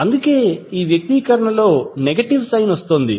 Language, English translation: Telugu, That is why the negative sign is coming in this expression